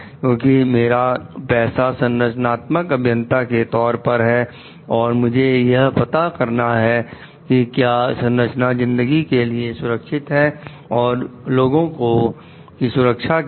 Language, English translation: Hindi, Because my profession of a structural engineer demands me to find out like whether the structure is safe for the life and security of the people